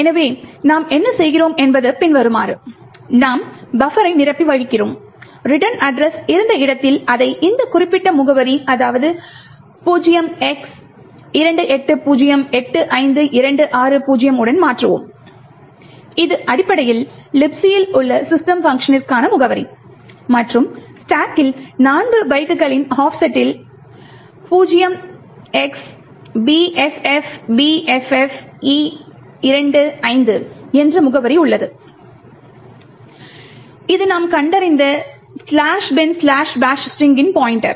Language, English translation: Tamil, So what we do is as follows, we overflow the buffer and at the location where the return address was present we replace it with this particular address 0x28085260, which essentially is the address for the system function present in LibC and at an offset of 4 bytes on the stack we have the address bffbffe25 which essentially is the pointer to the slash bin slash bash string but we have found out in the environment